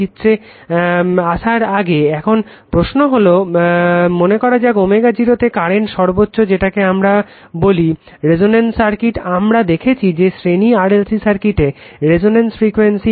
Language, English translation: Bengali, Now question is that suppose before before coming to this figure suppose at omega 0 current is maximum becausefor your what we call for resonance circuit, we have seen that your the resonant frequency series RLc circuit say that XL is equal to XC